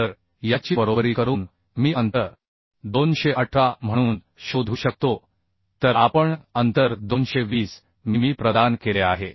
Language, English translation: Marathi, So equating this I can find out the spacing as 218 whereas we have provided spacing 220 mm